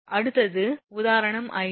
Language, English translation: Tamil, Next is example 3